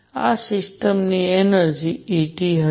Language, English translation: Gujarati, This is going to be the energy of the system E T